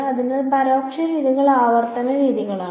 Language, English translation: Malayalam, So, indirect methods are iterative methods